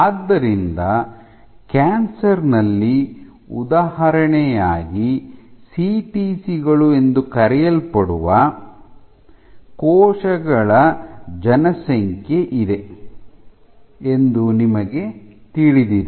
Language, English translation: Kannada, So, as an example we know in that in cancer, so, there is a population of cells call CTCs